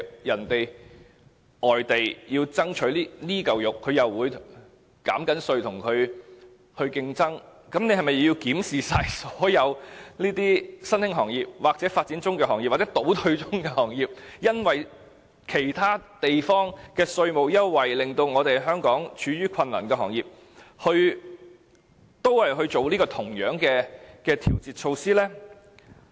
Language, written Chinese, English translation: Cantonese, 如外地希望爭取這塊"肉"而減稅以作競爭，那麼，政府是否要檢視香港所有新興行業、發展中行業或倒退中的行業，檢視因為其他地方的稅務優惠而處於困難的行業，並提供同樣的調節措施呢？, So in case overseas markets introduce a tax cut to compete for this piece of meat would the Government conduct a review of all local industries which are facing difficulties as a result of tax concessions measures introduced in other places including emerging developing and declining industries and to introduce the same adjustment measures for them?